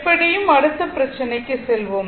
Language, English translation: Tamil, So, anyway come to the next problem